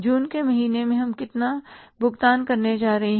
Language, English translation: Hindi, How much is that in the month of June we are going to pay